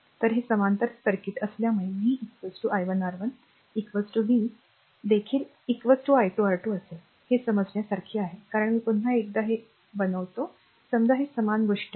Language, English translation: Marathi, So, it is a parallel circuit so, v will be is equal to i 1 R 1 is equal to v will be also is equal to your i 2 R 2, right